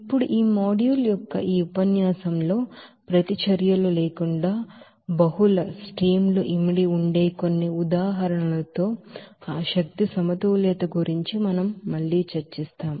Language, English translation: Telugu, Now in this lecture of this module we will discuss about again that energy balance with some examples where multiple streams will be involving without reactions